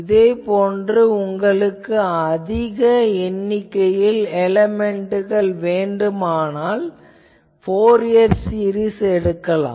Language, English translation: Tamil, Similarly, if you want to have an large number of elements if you want to take, you can use the Fourier series things